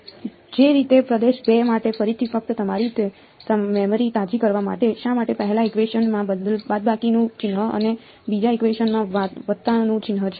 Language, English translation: Gujarati, Similarly for region 2 again just to refresh your memory; why is there a minus sign in the 1st equation and a plus sign in the 2nd equation